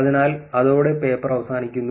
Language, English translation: Malayalam, So, that ends the paper